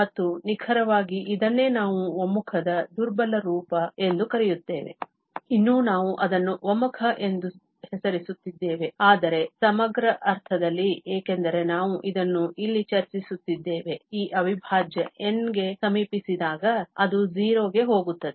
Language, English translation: Kannada, And, exactly this is what we are calling that this is a weaker form of the convergence, still we are naming it as a convergence, but in the integral sense, because we are discussing this here that this integral, when n approaches to infinity, it goes to 0